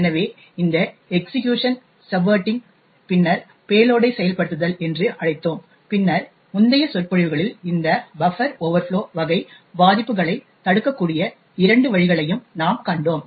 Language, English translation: Tamil, So, we called this as the subverting of the execution and then the execution of the payload and then in the previous lectures we had also seen a couple of ways where this buffer overflow type vulnerabilities could be prevented